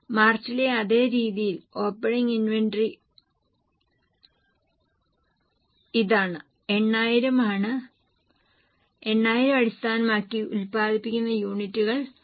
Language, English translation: Malayalam, Same way for March the opening inventory is this that is 8,000 and based on 8,000 the units produced are 17,000